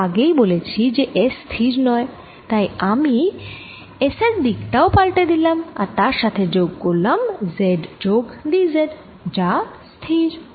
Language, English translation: Bengali, as i said earlier, s is not fix, so i am also changing the direction of s plus z plus d z, which is fixed